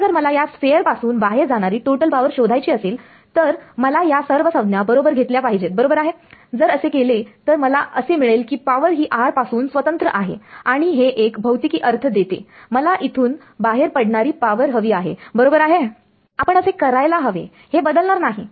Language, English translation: Marathi, Now if I want to find out the total power leaving the sphere I should include all the terms right, if I do that I will find out that the power is independent of r and that makes the physical sense the I want power leaving at right should we will not change